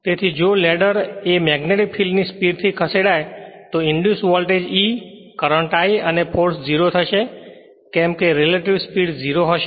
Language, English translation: Gujarati, So, if the ladder were to move at the same speed at the magnetic field the induced voltage E, the current I, and the force would all be 0 because relative speed will be 0 right